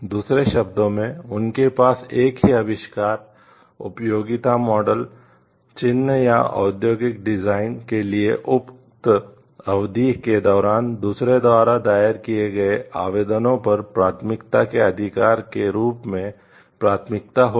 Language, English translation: Hindi, In other words, they will have priority as the expression right of priority over applications filed by others during the said period of time for the same invention utility model mark or industrial design